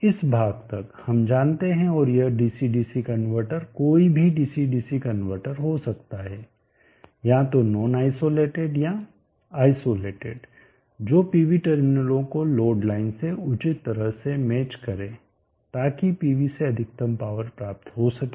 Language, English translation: Hindi, Up to this portion e know and this dc dc convertor can be any dc dc convertor either non isolated or isolated which will appropriately do the matching of the load line to the pv terminals in such way that maximum power is drawn from the pv